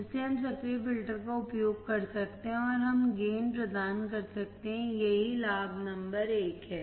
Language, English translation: Hindi, So, we can use the active filter, and we can provide the gain, that is the advantage number one